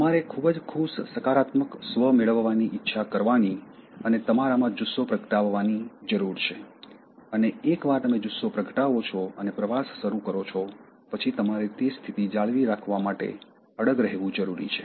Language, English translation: Gujarati, You need to desire to have a very happy positive self and you need to kindle the drive in you and once you kindle and start the journey, you need to be determined to stay there